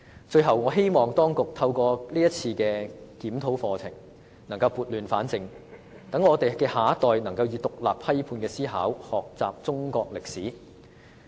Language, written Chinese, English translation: Cantonese, 最後，我希望當局透過是次課程檢討，能撥亂反正，讓我們的下一代能以獨立批判的思考學習中國歷史。, Lastly I hope that through the present curriculum review the authorities can put things right and enable our next generation to learn Chinese history with independent and critical thinking